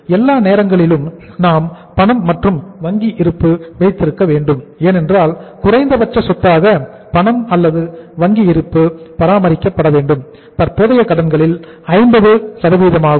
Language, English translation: Tamil, All the times we have to keep the cash and bank balance because minimum asset as a cash or the bank balance has to be maintained which was 50% of the current liabilities figure here